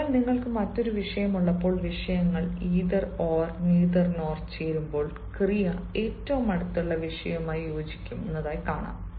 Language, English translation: Malayalam, so this is how, when you have different subject and the subjects are joined by either or neither nor, the verb will agree with the subject which is nearest